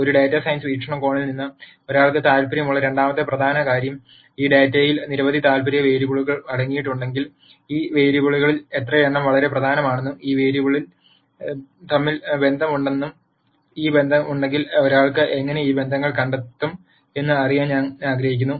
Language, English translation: Malayalam, The second important thing that one is interested from a data science perspec tive is, if this data contains several variables of interest, I would like to know how many of these variables are really important and if there are relationships between these variables and if there are these relationships, how does one un cover these relationships